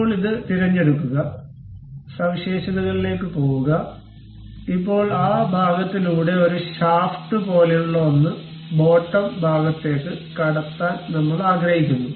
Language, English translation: Malayalam, Now, pick this one, go to features; now we would like to have something like a shaft passing through that portion into bottoms side